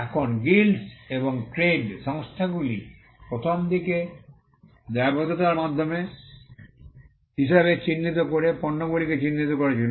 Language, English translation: Bengali, Now, Guilds and trade organizations in the earliest times identified goods by marks as a means of liability